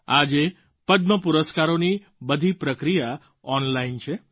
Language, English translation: Gujarati, The entire process of the Padma Awards is now completed online